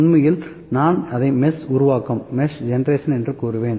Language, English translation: Tamil, So, this is actually I would just call it mesh generation